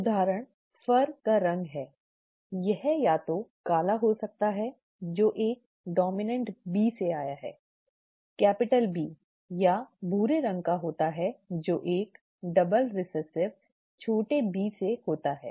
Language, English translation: Hindi, Example is the colour of fur it could either be black which arises from a dominant B, capital B or brown from a double recessive small B